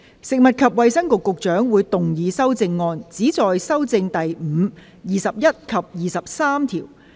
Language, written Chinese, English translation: Cantonese, 食物及衞生局局長會動議修正案，旨在修正第5、21及23條。, The Secretary for Food and Health will move amendments which seek to amend clauses 5 21 and 23